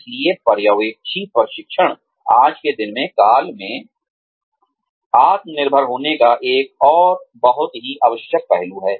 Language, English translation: Hindi, So, supervisory training is, another very essential aspect of, being self reliant, in today's day and age